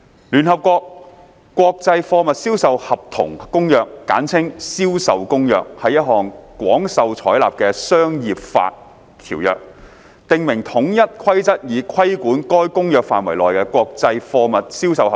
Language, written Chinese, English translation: Cantonese, 《聯合國國際貨物銷售合同公約》是一項廣受採納的商業法條約，訂明統一規則以規管該公約範圍內的國際貨物銷售合同。, The United Nations Convention on Contracts for the International Sale of Goods CISG is a widely adopted Convention which provides a set of uniform rules governing contracts for the international sale of goods within its scope